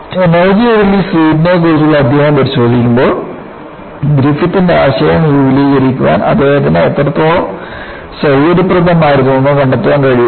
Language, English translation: Malayalam, When we look at the chapter on Energy release rate, we would be able to find out how conveniently he was able to extend the ideas of Griffith